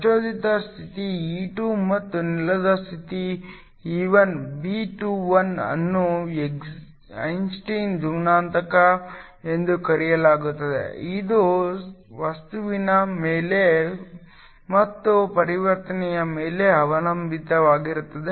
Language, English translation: Kannada, The excited state is E2 and the ground state is E1, B21 is called the Einstein coefficient, it depends upon the material and also upon the transition